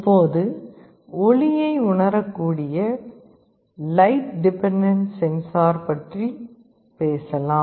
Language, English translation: Tamil, Now, let us talk about a sensor called light dependent resistor that can sense light